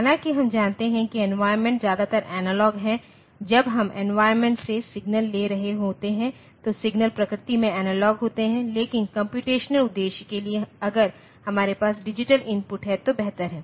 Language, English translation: Hindi, Though we know that the environment is mostly analog like when we are taking signals from a different from the environment the signals are analog in nature, but for the computational purpose it is better if we have digital inputs